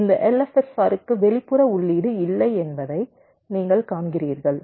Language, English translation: Tamil, so you see, this l f s r does not have an external input